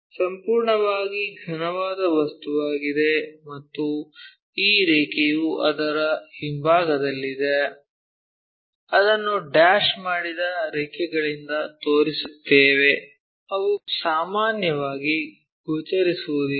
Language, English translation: Kannada, Is a complete solid object and this line is at backside of that that is a reason we show it by a dashed lines, which are usually not visible